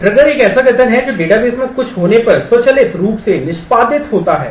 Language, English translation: Hindi, A trigger is a statement that is executed automatically when something happens in the database